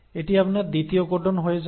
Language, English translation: Bengali, So this becomes your second codon